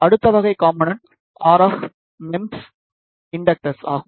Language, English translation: Tamil, Next type of component is the RF MEMS Inductors